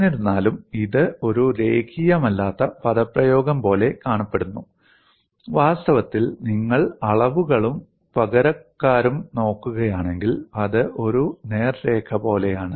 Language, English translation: Malayalam, Though, it appears like a non linear expression, in reality, if you look at the dimensions and substitute, it is more or less like a straight line